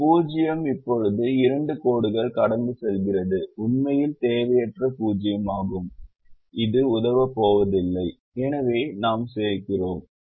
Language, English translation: Tamil, a zero that now has two lines passing through is actually an unwanted zero and that is not going to help